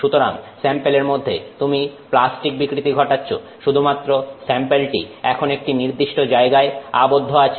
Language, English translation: Bengali, So, you are doing plastic deformation on the sample except that that sample is now constrained to one location